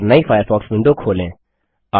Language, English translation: Hindi, And open a new Firefox window